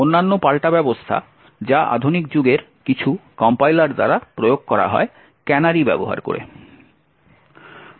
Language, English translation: Bengali, And other countermeasure that is implemented by some of the modern day compilers is by the use of canaries